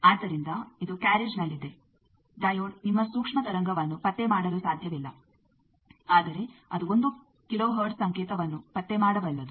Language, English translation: Kannada, So, which is on the carriage, the diode cannot detect your microwave, but it can detect a 1 kilo hertz signal